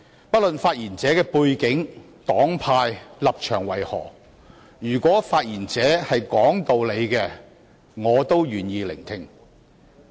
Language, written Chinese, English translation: Cantonese, 不論發言者的背景、黨派和立場為何，如果他們是講道理的，我也願意聆聽。, Regardless of the backgrounds political affiliations and stances of the speakers I am willing to listen to their views as long as they are reasonable